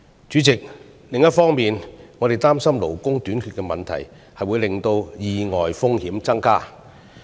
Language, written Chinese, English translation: Cantonese, 主席，另一方面，我們擔心勞工短缺的問題會導致意外風險增加。, President on the other hand we are worried that the problem of labour shortage will result in an increased risk of accidents